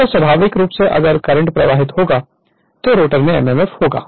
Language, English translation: Hindi, So, naturally if the current will flow therefore, mmf will be there in the rotor right